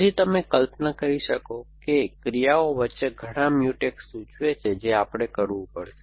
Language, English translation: Gujarati, So, we have to, so as you can imagine there would be many Mutex suggest between a actions a, that we will have to